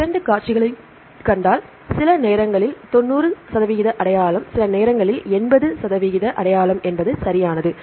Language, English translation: Tamil, If you see the 2 sequences there are sometimes 90 percent identity, sometimes 80 percent identity right